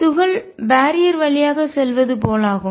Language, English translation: Tamil, It is as if the particle has tunneled through the barrier